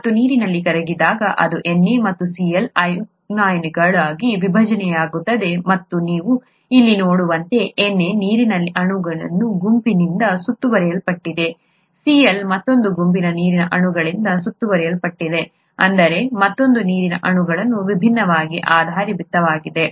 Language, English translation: Kannada, And when it is dissolved in water it splits up into its ions Na and Cl and as you can see here, Na gets surrounded by a set of water molecules, Cl gets surrounded by another set of water molecules I mean another set of water molecules oriented differently